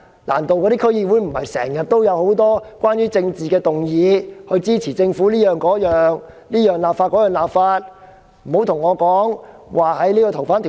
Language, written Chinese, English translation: Cantonese, 難道區議會不是經常都有很多關於政治的議案，支持政府各方面的立法嗎？, Arent there many politically - related motions being passed in DCs to support the Governments legislative efforts in various aspects?